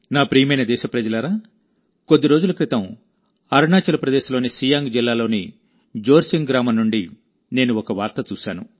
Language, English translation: Telugu, My dear countrymen, just a few days ago, I saw news from Jorsing village in Siang district of Arunachal Pradesh